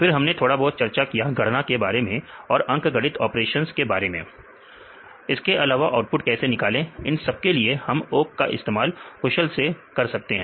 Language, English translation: Hindi, Then also we discussed little bit about the calculations, we can also use for various arithmetic operations also make a proper outputs we can use this awk in an efficient way